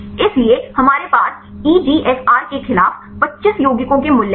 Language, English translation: Hindi, So, we have the values for the 25 compounds against EGFR